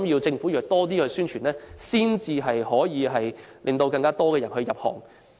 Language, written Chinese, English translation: Cantonese, 政府要多作宣傳，才能令更多人入行。, The Government should strengthen publicity to encourage more people to enter the sector